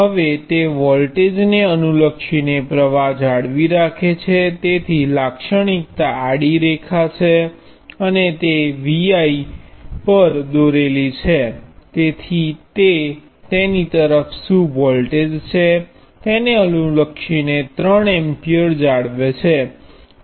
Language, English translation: Gujarati, Now it maintains a current regardless of the voltage so the characteristic is the horizontal line and drawn on the I V plane, so it maintains 3 amperes regardless of what voltage is across it